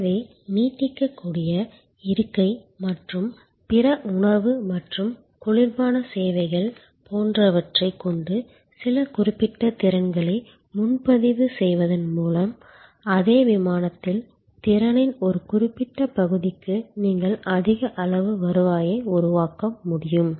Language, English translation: Tamil, So, there by reserving certain capacity with certain as you can see stretchable seat and other food and beverage service etc, you can create a much higher level of revenue for a particular part of the capacity in the same flight